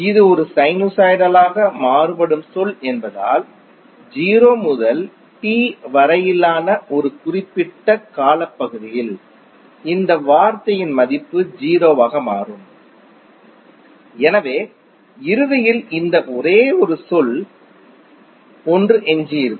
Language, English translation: Tamil, Since this is a sinusoidally wearing term, so the value of this term over one particular time period that is between 0 to T will become 0, so eventually what we have left with this only term 1